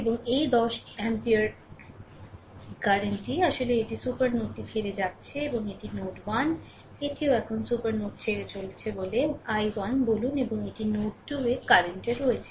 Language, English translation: Bengali, And this 10 ampere current actually it is leaving the supernode and this is node 1, say this is also current leaving the supernode, say i 1 and this is the currents at node 2, this is the i 2, right